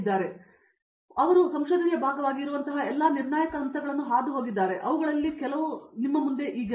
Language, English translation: Kannada, So, they have gone through all those critical steps that are there as part of research and some of them have been here longer